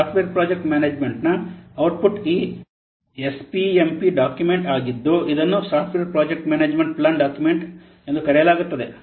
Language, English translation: Kannada, The output of software project management is this SPMP document, which is known as software project management plan document